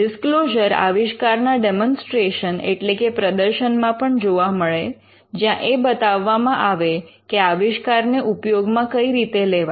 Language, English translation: Gujarati, You could find disclosures in demonstrations where an invention is demonstrated or put to use